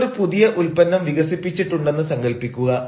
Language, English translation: Malayalam, imagine you have developed a new product and you want this product to be launched in the market